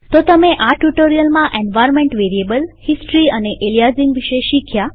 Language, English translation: Gujarati, So, in this tutorial, we have learned about environment variables, history and aliasing